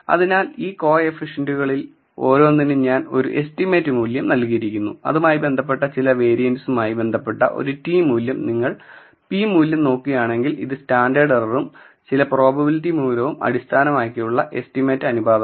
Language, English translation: Malayalam, So, for each of these coefficients, I am given an estimate value some variance associated with it a t value which is the ratio of estimate by the standard error and some probability value